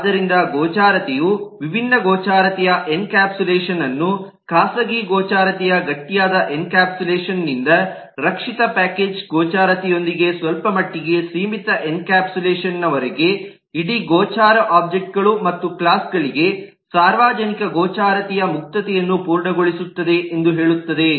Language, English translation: Kannada, so which say that visibility enforces different grades of encapsulation, from very a hard encapsulation of private visibility to somewhat limited encapsulation of protected package visibility, to complete openness of public visibility in to the full system of objects and classes